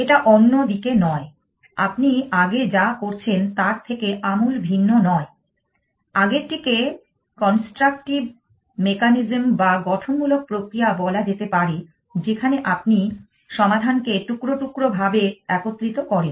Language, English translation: Bengali, It is not other side; well not radically different from what you have doing earlier the earlier my said could be called as constructive mechanism where you assemble a solution piece by piece